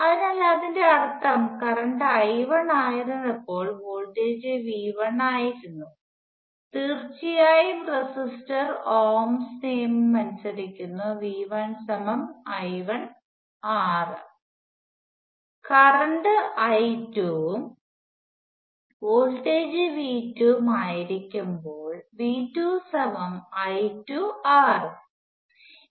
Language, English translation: Malayalam, So what it means is let say when the current was I 1, the voltage was V 1 obviously the resistor obeys ohms law and V 1 equals I 1 times R; and the current is I 2, the voltage is V 2 and V 2 equals I 2 times R